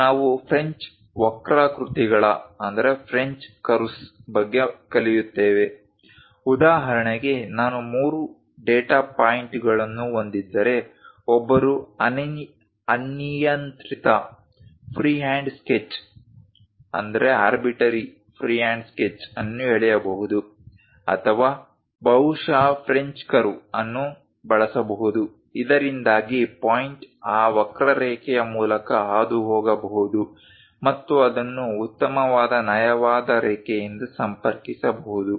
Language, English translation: Kannada, Now, we will learn about French curves; for example, if I have three data points, one can draw an arbitrary free hand sketch like that or perhaps use a French curve, so that the point can be passing through that curve and connect it by a nice smooth line